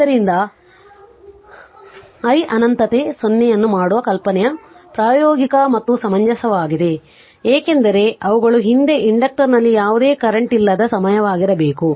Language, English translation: Kannada, So, the idea of making i minus infinity 0 is the practical and reasonable, because they are must be a time in the past when there was no current in the inductor